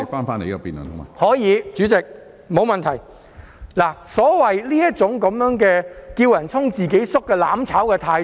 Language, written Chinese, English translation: Cantonese, 目前的情況完美體現了反對派"叫人衝，自己縮"的"攬炒"態度。, The current situation has perfectly exemplified the mutual destruction attitude of the opposition camp who like to urge others to charge forward but flinch from doing so themselves